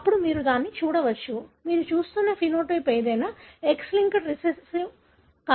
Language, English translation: Telugu, Then you can call that, whatever the phenotype that you are looking at could be X linked recessive